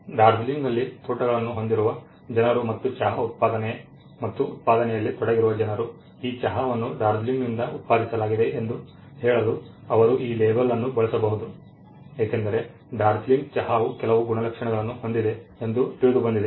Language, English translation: Kannada, The people who are having plantations in Darjeeling and who are actually in the manufacturing and production of the tea they can use that label to say that this tea is from Darjeeling, because the Darjeeling tea it has been found out that has certain properties which is not there for tree that is grown in core or in some part of Sri Lanka it is not there